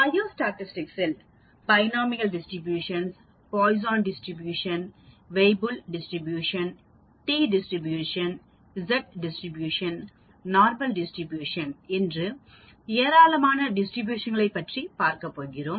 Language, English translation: Tamil, In Biostatistics, we are going to look at large number of distributions like Binomial distribution, Poisson distribution, Weibull distribution, T distribution, Z distribution, Normal distribution and so on